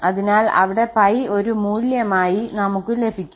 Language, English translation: Malayalam, So, we get the pi as a value pi there